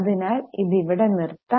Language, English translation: Malayalam, So, let us continue